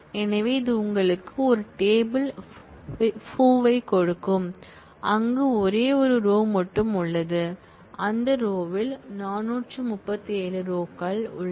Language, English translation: Tamil, So, this will give you a table Foo, where there is only one row and that row has an entry 437